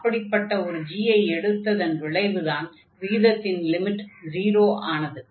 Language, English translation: Tamil, So, we have seen by taking this g that this ratio here is 0